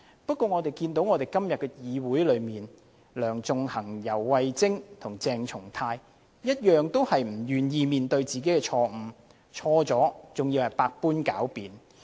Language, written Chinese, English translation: Cantonese, 不過，我們看到今天的議會內，梁頌恆、游蕙禎和鄭松泰議員同樣不願意面對自己的錯誤，犯了錯還在百般狡辯。, However as we can see in the Council today Sixtus LEUNG YAU Wai - ching and Dr CHENG Chung - tai have all been unwilling to admit their mistakes and resorted to sophistry by all crooked means